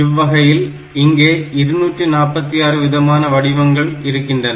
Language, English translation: Tamil, And you see there are only 246 different combinations